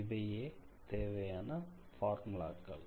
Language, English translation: Tamil, So, these are the formulas